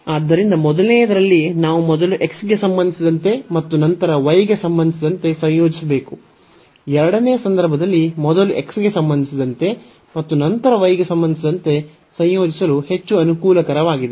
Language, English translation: Kannada, So, in the first one we have realize that, we should first integrate with respect to x and then with respect to y while, in the second case it is much more convenient to first integrate with respect to x and then with respect to y